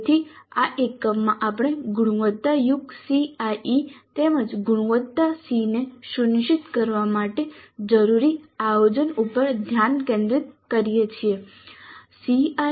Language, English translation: Gujarati, So in this unit we focus on the planning upfront that is required to ensure quality CIE as well as quality SEA